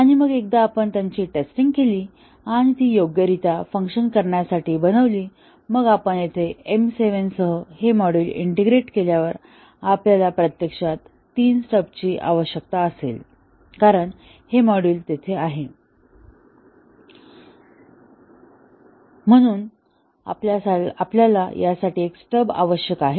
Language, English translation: Marathi, And then once we have tested it, and made it to work correctly, then we integrate with M 7 here this module here, and then we would need actually three stubs because this module is there, and therefore, we do not need a stub for this we need a stub for only this one, this one and this one